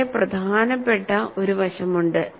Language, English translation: Malayalam, There is a very important aspect